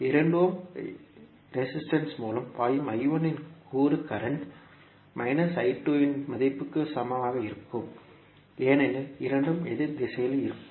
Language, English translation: Tamil, So the component of I 1 which is flowing through 2 ohm resistance will be equal to the value of current I 2 with negative sign because both would be in opposite directions